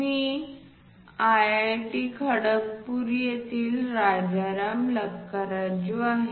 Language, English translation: Marathi, I am Rajaram Lakkaraju from IIT, Kharagpur